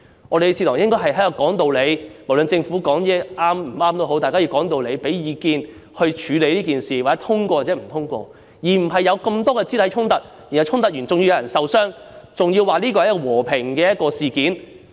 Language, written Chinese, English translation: Cantonese, 我們的議事堂應該是說道理的，無論政府說的話是對或錯，大家都要講道理、給意見、透過表決來處理事件，而不應有這麼多肢體衝突，導致有人受傷，還說這是和平事件。, Our Council should be a place where arguments are backed by reasons . No matter what the Government says is right or wrong we should explain our cases with reasons offer advice and decide matters by votes . All these physical assault and injuries are uncalled for let alone described as a peaceful incident